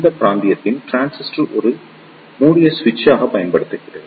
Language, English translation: Tamil, In this region transistor is used as a closed switch